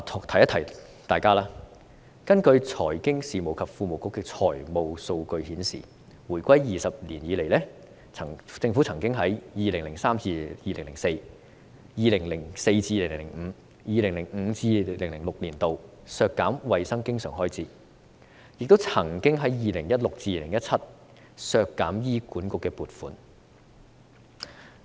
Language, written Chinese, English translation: Cantonese, 提一提大家，財經事務及庫務局的財務數據顯示，回歸20年來，政府曾在 2003-2004、2004-2005 及 2005-2006 年度削減衞生經常開支，亦曾在 2016-2017 年度削減醫管局的撥款。, Just so you remember the financial data of the Financial Services and the Treasury Bureau show that in the past two decades after the handover the Government did cut back on the recurrent health expenditure in 2003 - 2004 2004 - 2005 and 2005 - 2006 and reduce HAs funding in 2016 - 2017